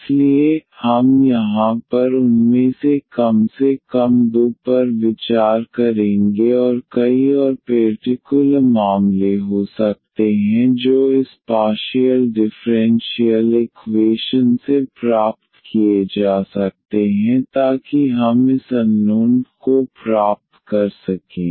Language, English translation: Hindi, So, we will consider here at least two of them and there could be many more special cases can be derived from this partial differential equations so that we can get this unknown here I